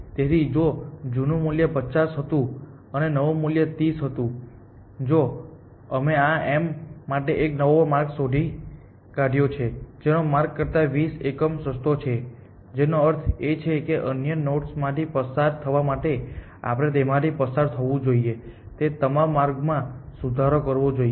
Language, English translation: Gujarati, So, if the old value was 50 and the new value was 30, then we have found a new path to this m which is 20 unit cheaper than the old path which means that all path going from m to other nodes we must pass on this improvement to them essentially